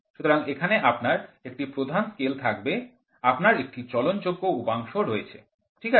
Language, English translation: Bengali, So, here you will have a main scale you have a sliding contact, ok